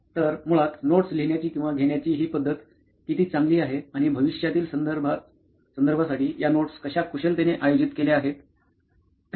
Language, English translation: Marathi, So basically how well this input method of writing or taking down notes is happening and how efficiently these notes are being organized for future reference